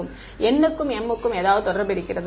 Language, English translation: Tamil, Is there any relation between n and m